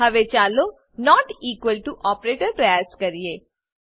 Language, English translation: Gujarati, Lets us try equals to operator